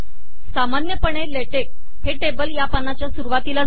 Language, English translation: Marathi, By default, Latex places tables at the top of the page